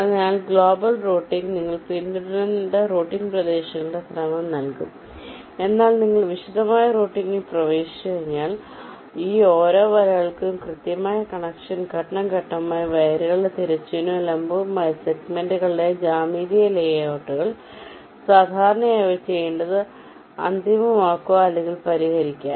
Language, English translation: Malayalam, so global routing will give you the sequence of routing regions that need to be followed, but once you are in the detailed routing step, for each of these nets, the exact connection, the geometrical layouts of the wires, horizontal and vertical segments